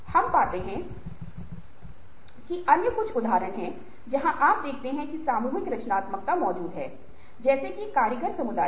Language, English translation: Hindi, ah, we find that there are certain other examples where, ah you see that collective creativity it has existed, as for example, in artisan communities